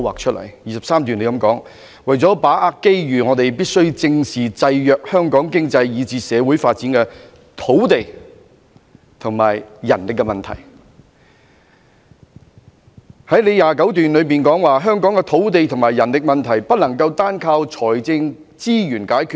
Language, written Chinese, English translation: Cantonese, 第23段提到："為了把握機遇，我們必須正視制約香港經濟以至社會發展的土地和人力問題"；第29段則提到："香港的土地和人力問題，不能單靠財政資源解決。, Paragraph 23 says that To seize the opportunities we must look squarely into the problems of land and manpower which have been hindering the economic and social development of Hong Kong and paragraph 29 states that The land and manpower problems in Hong Kong cannot be solved with financial resources alone